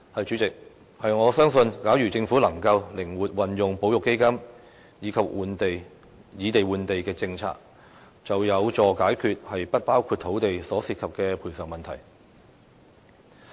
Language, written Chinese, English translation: Cantonese, 主席，我相信假如政府能夠靈活運用保育基金及以地換地的政策，將有助解決"不包括土地"所涉及的賠償問題。, President I believe the Governments flexible use of the conservation fund and also the land - for - land policy can help to resolve the compensation problems involving enclaves